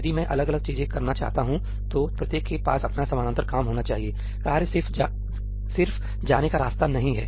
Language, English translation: Hindi, If I want to do different things, each should have its own parallel stuff; tasks just not the way to go